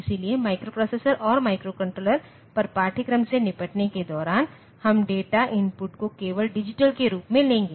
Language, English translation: Hindi, So, while dealing with the course on microprocessors and microcontrollers we will take the data input as digital only